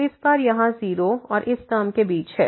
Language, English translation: Hindi, So, this time here lies between 0 and this term